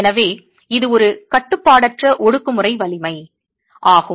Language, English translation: Tamil, So it is an unconfined compressive strength